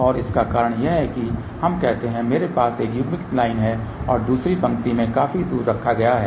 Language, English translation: Hindi, And the reason for that is let us say i have a one coupled line and the another line is put quiet far away